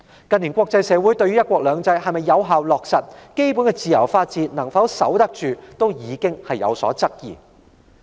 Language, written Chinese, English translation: Cantonese, 近年國際社會對"一國兩制"能否有效落實，基本的自由法治能否守得住已有所質疑。, In recent years the international community already has doubts about the effective implementation of one country two systems and the safeguarding of the basic freedom and the rule of law